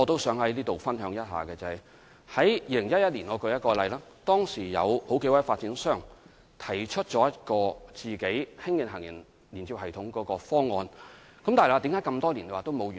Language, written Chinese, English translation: Cantonese, 在2011年，當時有數個發展商提出自行興建行人天橋連接系統的方案，但為何這麼多年仍未完成？, In 2011 several developers put forward a proposal on the construction of an elevated walkway system by themselves but why has it not completed after all these years?